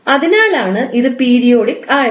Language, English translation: Malayalam, And that is why it is periodic